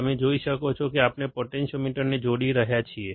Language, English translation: Gujarati, You can that see we are connecting potentiometer